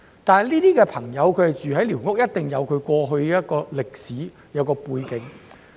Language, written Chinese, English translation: Cantonese, 他們居於寮屋，必定有過去的歷史背景。, There must be a historical background that can explain why they now live in squatter structures